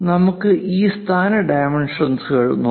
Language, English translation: Malayalam, Let us look at this position dimensions L